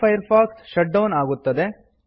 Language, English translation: Kannada, Mozilla Firefox shuts down